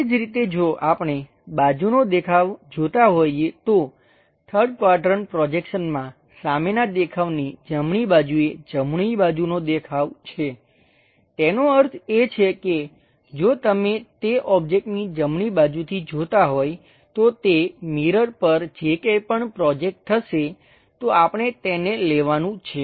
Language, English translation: Gujarati, Similarly, if we are looking side view, in third quadrant projection, the side view on the right side is basically the right side view; that means, if you are looking from right side of that object whatever projected onto that mirror that is the thing what we are supposed to take it